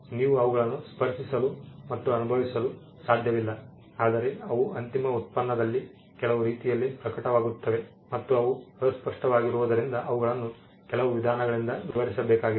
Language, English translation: Kannada, You cannot touch and feel them, but they manifest in the end product in some way and because they are intangible, they need to be described by some means